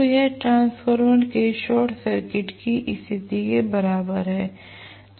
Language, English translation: Hindi, So, it is equivalent to short circuit condition of the transformer as well